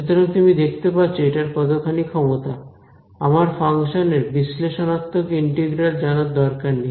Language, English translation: Bengali, So, you see how much of a power this is, I do not need to know the analytical integral of any function; I just need function values